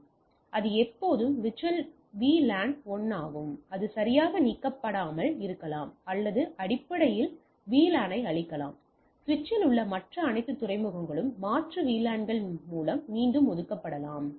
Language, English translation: Tamil, Management VLAN is always VLAN 1, and may not be deleted right, or because you can basically destroy the VLAN, or delete the VLAN etcetera, all other ports in the switch may be reassigned in alternate VLANs